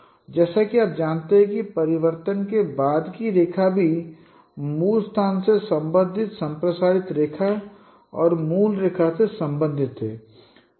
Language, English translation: Hindi, And as you know that the line after transformation also they are related, transformed line and the original line in the original space they are related by this